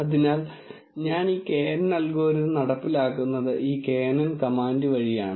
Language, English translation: Malayalam, So, the way I implement this knn algorithm is through this knn command